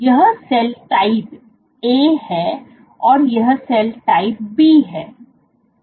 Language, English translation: Hindi, This is cell type A, this is cell type B